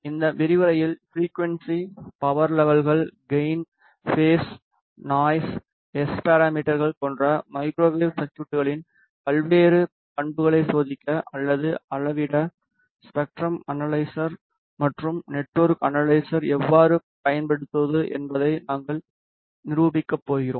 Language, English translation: Tamil, In this lecture we are going to demonstrate how to use spectrum analyzer and network analyzer to test or major various characteristics of microwave circuits such as frequency, power levels, gain, phase, noise, S parameters and so on